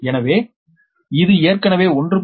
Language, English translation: Tamil, so this is, this is a